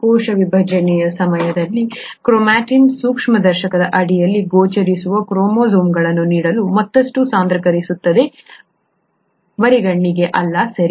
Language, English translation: Kannada, During cell division chromatin condenses further to yield visible chromosomes under of course the microscope, not, not to the naked eye, okay